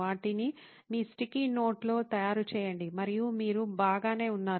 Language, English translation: Telugu, Just make them in your sticky note and you should be fine